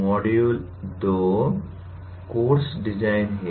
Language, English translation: Hindi, Module 2 is “Course Design”